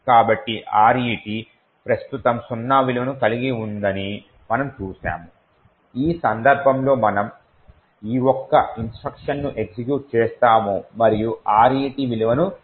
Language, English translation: Telugu, So, we see that RET has a value of zero right now we will execute a single instruction in which case we have actually executed this particular instruction and changed the value of RET